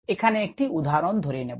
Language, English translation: Bengali, let us consider an example: ah